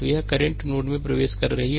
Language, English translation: Hindi, So, this current is entering into the node